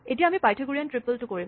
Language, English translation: Assamese, Now, let us do the Pythagorean triple one